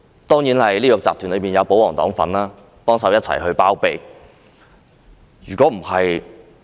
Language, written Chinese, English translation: Cantonese, 當然，這個集團中亦有保皇黨幫忙一起包庇。, Of course in this syndicate the pro - Government camp also has a part to play in helping shield their interests